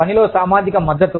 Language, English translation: Telugu, Social support at work